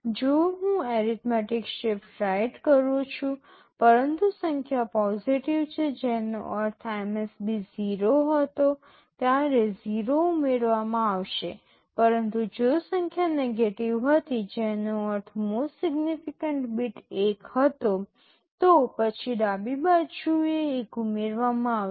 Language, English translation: Gujarati, If I say arithmetic shift right, but the number is positive which means the MSB was 0 then 0’s will be added, but if the number was negative which means most significant bit was 1 then 1’s will be added on the left side